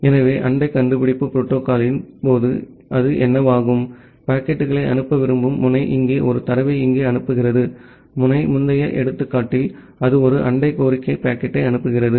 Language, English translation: Tamil, So, in case of neighbor discovery protocol what happens that, the node which wants to send the packets send a data here the node A in the preceding example, it sends a neighbor solicitation packet